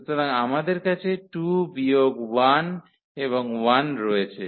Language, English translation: Bengali, So, we have 2 minus 1 and 1